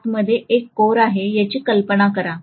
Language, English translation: Marathi, Imagine that there is a core inside, okay